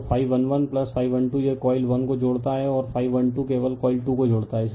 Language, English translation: Hindi, So, phi 1 1 plus phi 12 it links the coil 1, and phi 1 2 only links the coil 2